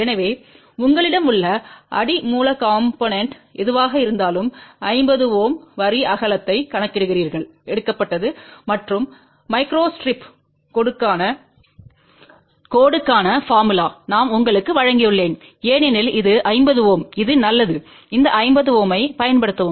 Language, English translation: Tamil, So, you calculate 50 ohm line width corresponding to whatever the substrate you have taken and I have given you the formula for micro strip line because this is 50 ohms it is better to use this 50 ohm